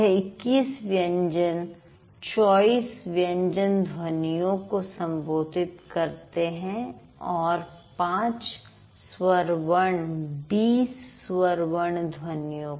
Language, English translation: Hindi, So, this 21 consonants refer to 24 consonants sounds and the five vowels refer to 20 vowel sounds